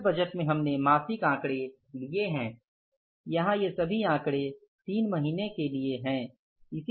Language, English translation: Hindi, In the cash budget we have taken the monthly figures